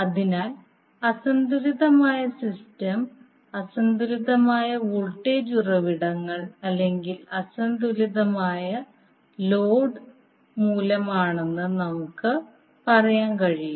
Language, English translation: Malayalam, So therefore we can say that unbalanced system is due to unbalanced voltage sources or unbalanced load